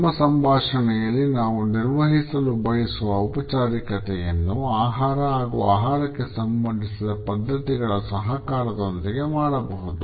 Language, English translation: Kannada, The levels of formality which we want to maintain in our dialogue can also be communicated with the help of food and its associated practices